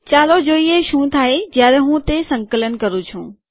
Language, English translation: Gujarati, Lets see what happens when I compile it